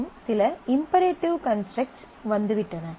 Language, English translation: Tamil, So, and certain imperative constructs have come in